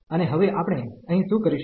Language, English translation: Gujarati, And now what we will do here